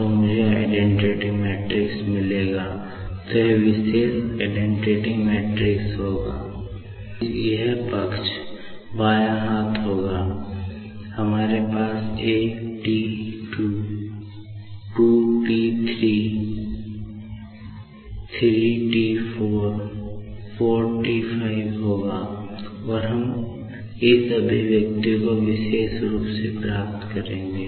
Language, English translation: Hindi, So, this particular identity matrix [I] will be getting and that is why, left hand on this particular side, we will have 21T , 23T , 34T , 45T , and we will be getting this particular expression